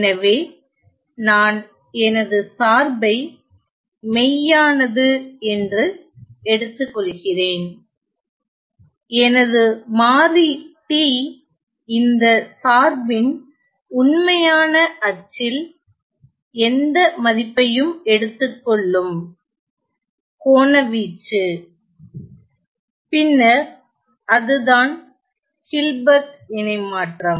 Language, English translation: Tamil, So, I am going to start with the function being real and I take my variable t, the argument of this function taking any value on the real axis, then its Hilbert transform f of H